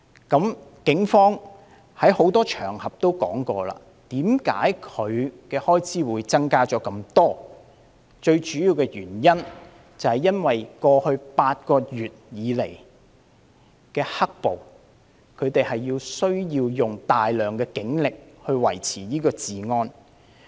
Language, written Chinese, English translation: Cantonese, 警方已在多個場合指出為何警隊的開支會大幅增加，最主要的原因是過去8個月以來的"黑暴"，他們需要大量警力維持治安。, The Police have pointed out on many occasions the reasons for the substantial increase in their expenditure . The main reason is that a large number of police officers is needed to maintain public order due to the black riots in the past eight months